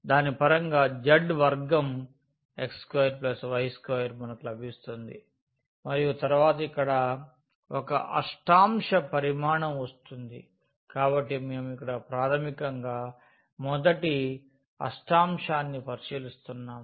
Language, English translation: Telugu, So, its z square in terms of the x square and y square we will get and then here the volume in one octant, so we are considering basically the first octant here